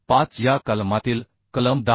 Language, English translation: Marathi, 5 as per clause 10